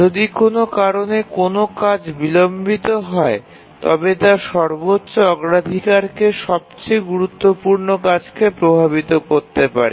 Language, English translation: Bengali, And if some of these tasks get delayed due to some reason, then that may affect the highest priority most critical task